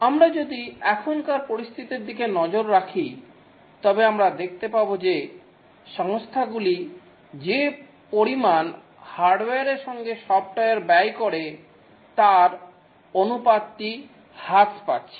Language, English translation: Bengali, If we look at the scenario now, we can see that the scenario now, we can see that the amount that the company is spent on hardware versus the amount of the spend on software, the ratio is drastically reducing